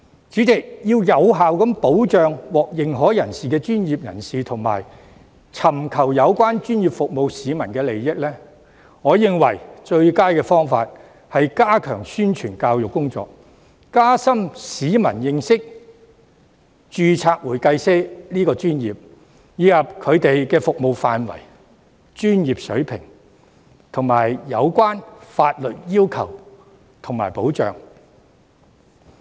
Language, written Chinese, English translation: Cantonese, 主席，要有效保障獲認可專業人士及尋求有關專業服務的市民的利益，我認為最佳方法是加強宣傳教育工作，加深市民對註冊會計師這個專業的認識，以及其服務範圍、專業水平及有關的法律要求和保障。, President in my view in order to effectively protect the interests of certified professionals and members of the public seeking relevant professional services the best way is to step up publicity and education so that people will have a better understanding of the profession of certified public accountants their scope of services professional standards as well as the relevant legal requirements and protection